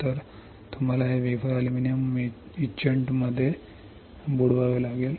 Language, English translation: Marathi, So, you have to dip this wafer in a aluminium etchant